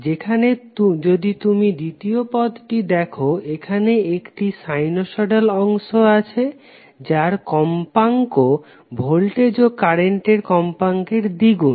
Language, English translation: Bengali, While if you see the second part, it has the sinusoidal part which has a frequency of twice the frequency of voltage or current